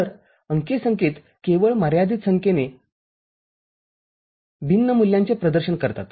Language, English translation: Marathi, So, digital signals represent only finite number of discrete values